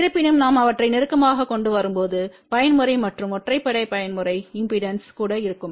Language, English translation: Tamil, However when we bring them closer then we will have even mode and odd mode impedances